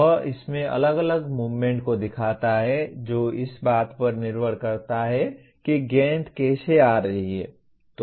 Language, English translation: Hindi, He shows different movements in that depending on how the ball is coming